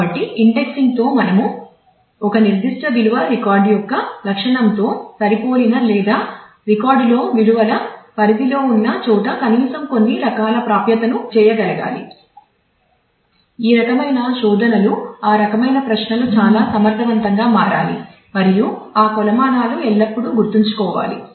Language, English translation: Telugu, So, with that with indexing we should be able to do at least certain kind of accesses where a particular value matches the attribute of a record or falls within a range of values in a record those kind of searches those kind of queries should become very efficient and these metrics will have to always keep in mind